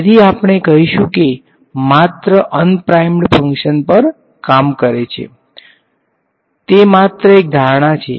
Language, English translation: Gujarati, So, this we will say only acts on unprimed that is fine, so that is just a assumption